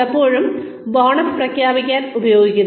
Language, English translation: Malayalam, In many places, have been used to declare bonuses